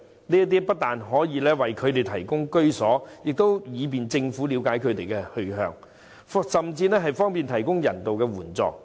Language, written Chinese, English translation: Cantonese, 這不但可以為他們提供居所，亦便於政府了解他們的去向，甚至方便提供人道援助。, That will not only provide shelters for the claimants but also help the Government to know their whereabouts or even facilitate the provision of humanitarian aids